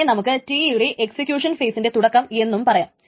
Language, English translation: Malayalam, So this is start of T T which you can also say this is start of the execution phase of T